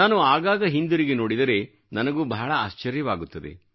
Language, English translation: Kannada, At times, when I look back, I am taken aback